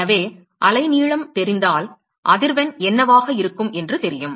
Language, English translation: Tamil, So, if we know the wavelength we know what the frequency is going to be